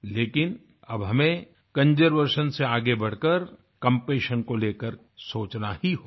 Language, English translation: Hindi, But, we now have to move beyond conservation and think about compassion